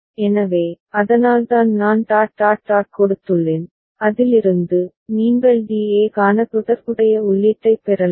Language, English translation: Tamil, So, that is why I have given dot dot dot and so, and from that, you can get the corresponding input for DA